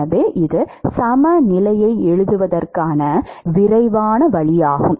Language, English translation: Tamil, So, this is a quick way of writing the balance